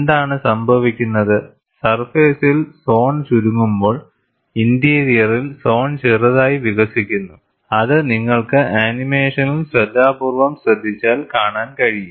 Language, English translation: Malayalam, What happens is, what happens on the surface shrinks and at the interior, the zone slightly expands, which you could carefully watch in the animation